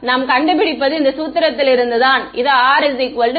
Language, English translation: Tamil, And what we find from this formulation is this R is equal to 0